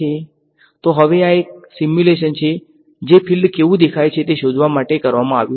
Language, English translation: Gujarati, So now, this is a simulation which was done to find out what the field looks like ok